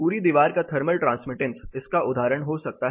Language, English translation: Hindi, Examples can be the whole wall thermal transmittance